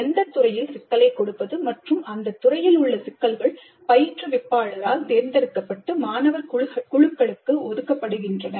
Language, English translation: Tamil, The domain as well as the problem in the domain are selected by the instructor and assigned to student teams